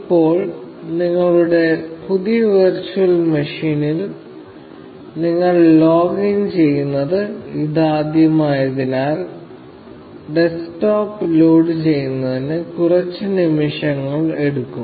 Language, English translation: Malayalam, Now, since it is the first time that you are logging into your new virtual machine, it will take a few seconds before the desktop loads